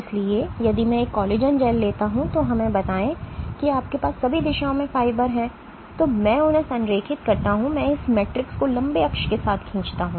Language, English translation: Hindi, So, if I take a collagen gel let us say where you have fibers in all directions and I align them actually I pull this matrix along the long axis